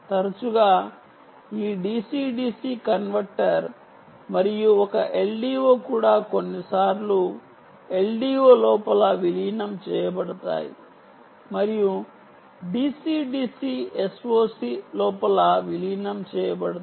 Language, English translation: Telugu, often this d c d c converter and even an l d o are also sometimes integrated inside the l d o and d c d c are integrated inside the s o c